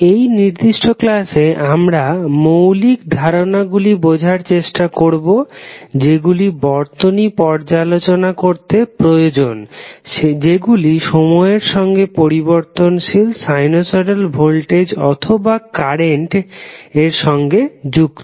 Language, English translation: Bengali, So, basically in this particular lecture, we will try to understand the basic concepts which are required to analyze those circuits which are connected with some time wearing sinusoidal voltage or current source